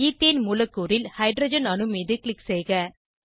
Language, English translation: Tamil, Click on the hydrogen atom in the ethane molecule